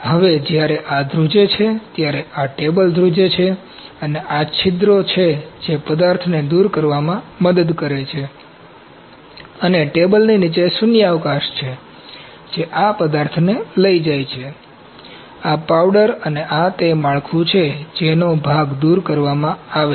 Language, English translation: Gujarati, Now when this vibrates, this table vibrates and these pores are there that helps to remove the material and there’s a vacuum down the table that takes this material this powder off and this is the build that is taken away part or I can even say product of this processing